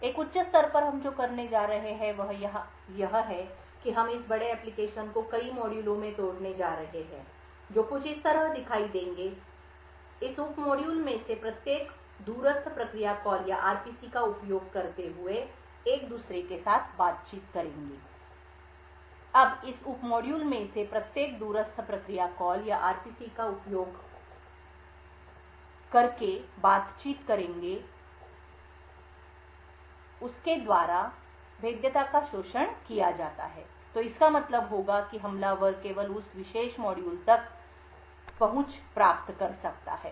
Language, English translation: Hindi, At a high level what we are going to do is that we are going to break this large application into several sub modules which would look something like this, each of this sub modules would then interact with each other using remote procedure calls or RPCs, now each of this sub modules runs as an independent process, therefore if a vulnerability is exploited by an attacker in one of these process modules it would mean that the attacker can only gain access to that particular module